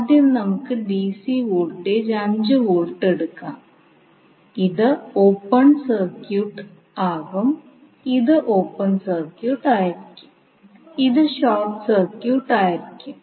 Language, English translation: Malayalam, First, let us take the DC voltage 5 Volt so this will be open circuited, this will be short circuited